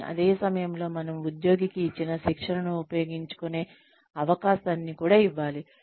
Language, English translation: Telugu, But, at the same time, we have to give the employee, a chance to use the training, that we have given the employee